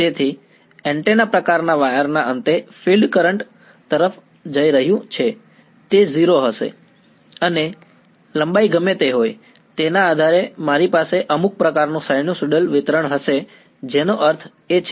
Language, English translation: Gujarati, So, at the end of the antenna sort of wires the field is going to the current is going to be 0 and depending on whatever length is I will have some kind of sinusoidal distribution over I mean that is